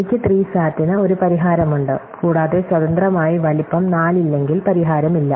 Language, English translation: Malayalam, And therefore, I have a solution to SAT and if there is no independent set of size , there is no solution